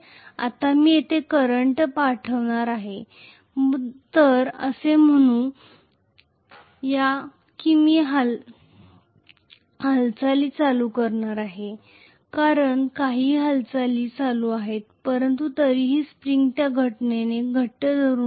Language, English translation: Marathi, Now I am going to pass a current here, so let us say I am going to pass a current here from i because of which some movement is taking place but still the spring is holding it pretty tightly